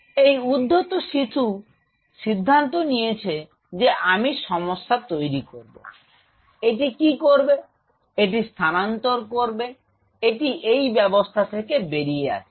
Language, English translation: Bengali, And this rogue kit decided that I am going to create problem, what this will do, it will travel it will come out of it